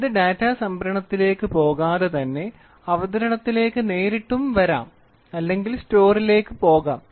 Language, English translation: Malayalam, It without going to the data storage it can directly come to the presentation or it can go to store